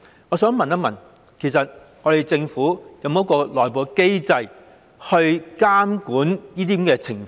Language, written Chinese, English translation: Cantonese, 我想問政府有沒有內部機制監管這些情況？, I wish to ask the Government a question . Does it have any internal mechanism to monitor these situations?